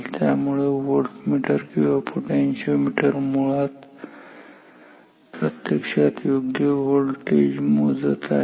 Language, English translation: Marathi, Therefore, this voltmeter or this potentiometer actually is measuring the right voltage